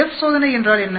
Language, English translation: Tamil, What is F test